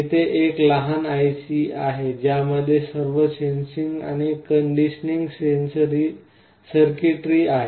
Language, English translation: Marathi, You see here there is a small IC that has all the sensing and conditioning circuitry inside it